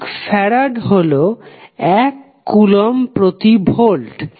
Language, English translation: Bengali, 1 farad is nothing but, 1 Coulomb per Volt